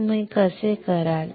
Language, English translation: Marathi, How you will do that